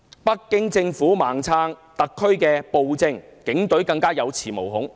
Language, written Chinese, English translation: Cantonese, 北京政府"盲撐"特區暴政，警隊更加有恃無恐。, Emboldened by the blind backing of the Beijing Government to the SAR tyranny the Police acted even more recklessly